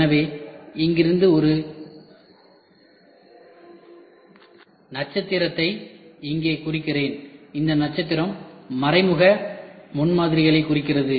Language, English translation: Tamil, So, from here let me put a star here and this star represents indirect prototyping